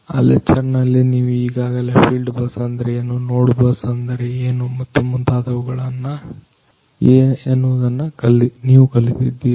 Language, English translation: Kannada, So, in that lecture you have already you know learnt about what is field bus, what is node bus and so, on